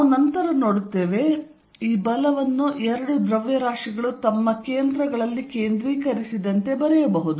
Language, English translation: Kannada, We will see later, that this force can be written as if the two masses are concentrated at their centers